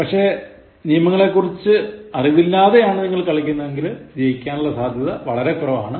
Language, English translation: Malayalam, But, if you do not know the rules and play the game, so there is minimal possibility of winning this game